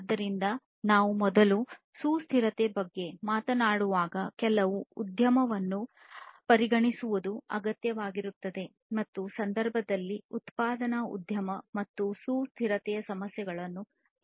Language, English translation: Kannada, So, when we talk about sustainability first what is required is to consider some industry in our case, the manufacturing industry and assess the sustainability issues